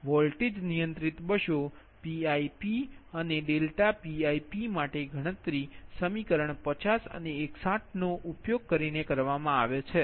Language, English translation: Gujarati, for voltage controlled buses, pip and delta pip are computed using equation fifty and sixty one